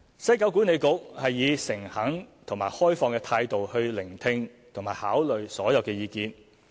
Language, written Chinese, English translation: Cantonese, 西九管理局以誠懇及開放的態度聆聽及考慮所有意見。, WKCDA had listened to all views and considered them with a sincere and open attitude